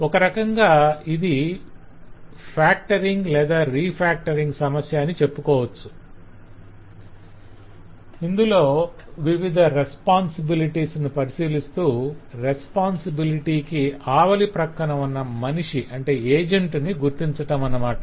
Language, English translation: Telugu, so this is kind of a factoring problem or you can say refactoring problem where you look into the different responsibilities and try to identify that if there is some agent on the other side of that responsibility